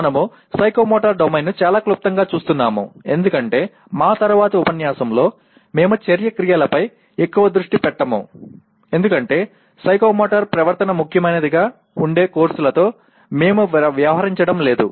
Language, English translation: Telugu, And we are only looking at psychomotor domain very briefly because in our subsequent units we will not be focusing very much on action verbs because we are not dealing with courses where psychomotor behavior starts becoming important